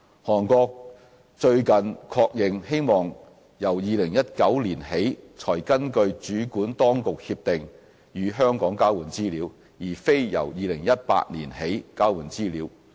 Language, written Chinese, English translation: Cantonese, 韓國最近確認，希望由2019年起才根據主管當局協定與香港交換資料，而非由2018年起交換資料。, Korea recently confirmed that it wishes to exchange information with Hong Kong under the Competent Authority Agreement starting from 2019 instead of 2018